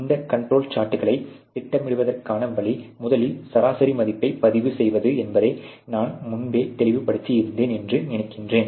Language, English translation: Tamil, So, I think I had made clear earlier that the way to plot these control charts is to sort of first of all record the mean value